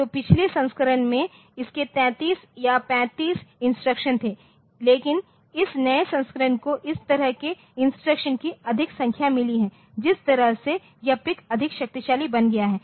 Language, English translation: Hindi, So, the previous versions it had 33 or 35 instructions, but this new version it has got more number of instructions that way this PIC has become more powerful